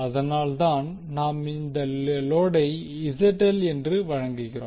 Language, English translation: Tamil, So, that is why here we are representing load with ZL